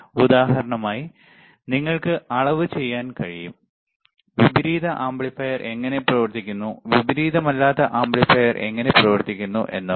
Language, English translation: Malayalam, You can do measure for example, the inverting amplifier how inverting amplifier operates, right